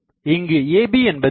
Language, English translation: Tamil, And so, what is AB